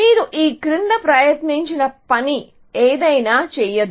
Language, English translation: Telugu, Anything you try below this is not going to work